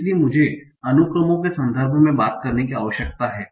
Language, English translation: Hindi, So that's why I need to talk in terms of the sequences